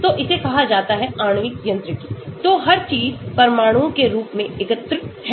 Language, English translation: Hindi, so this is called the molecular mechanics, so everything is lumped as atoms